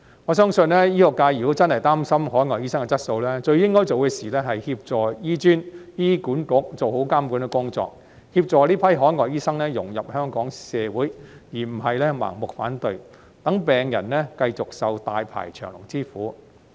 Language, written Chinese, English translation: Cantonese, 我相信，醫學界如果真的擔心海外醫生的質素，最應該做的是協助醫專及醫管局做好監管工作，協助這批海外醫生融入香港社會，而不是盲目反對，讓病人繼續受大排長龍之苦。, I am convinced that if the medical sector really worries about the quality of overseas doctors it should then offer support to HKAM and HA in carrying out proper supervision and helping these overseas doctors integrate into Hong Kongs community rather than opposing blindly to let patients continue to suffer in long queues